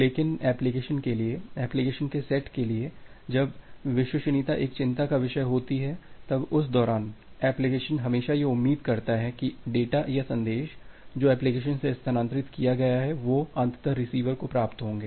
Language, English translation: Hindi, But for the application, for the set of applications when reliability is a concern, during that time the application always expects that the data or the message that is transferred from the application, they will be eventually received at the receiver side